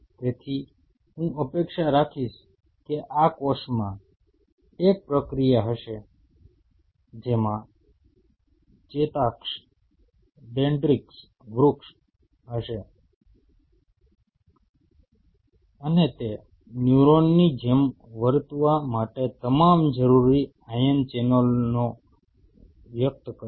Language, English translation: Gujarati, So, I will expect that this cell will have a processes which will have an axon dendritic tree and it will express all the necessary ion channels to behave like a neuron